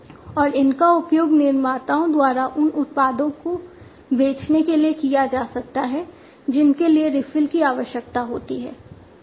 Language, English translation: Hindi, And these can be used by manufacturers to sell products which require refills, right